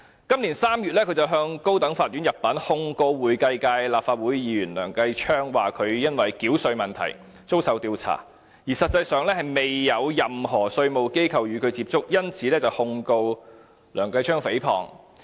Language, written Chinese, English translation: Cantonese, 今年3月，他入稟高等法院，控告會計界立法會議員梁繼昌，指他因為繳稅問題而遭受調查，但實際上卻未有任何稅務機構與他接觸，因此，他控告梁繼昌議員誹謗。, In March this year he filed a case with the High Court to sue Kenneth LEUNG a Legislative Council Member from the accounting sector for libel because Kenneth LEUNG said that he was being investigated for tax payment issues but in fact no tax authorities had approached him